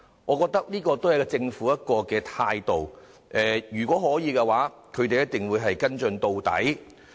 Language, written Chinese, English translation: Cantonese, 我認為這可見政府在處理事件上的另一態度，就是如果可以，必會跟進到底。, In my view this reflects another attitude of the Government in handling the incident that it would follow up the incident as far as practicable